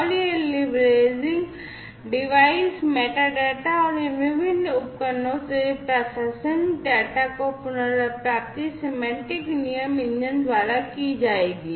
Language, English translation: Hindi, And this leveraging, the device metadata and enabling the retrieval of contextual data from these different devices, will be done by the semantic rule engine